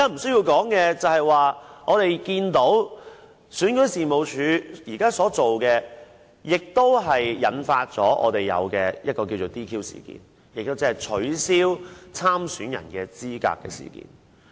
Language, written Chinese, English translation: Cantonese, 此外，我們看到選舉事務處現時所做的事情，引發出現所謂的 "DQ" 事件，即取消立法會補選參選人資格的事情。, Besides we see what REO has done in triggering the incident of disqualifying certain candidates running for the Legislative Council by - election